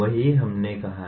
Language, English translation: Hindi, That is what we stated